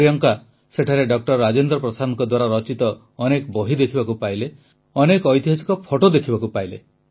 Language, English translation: Odia, There, Priyanka ji came across many books written by Dr Rajendra Prasad and many historical photographs as well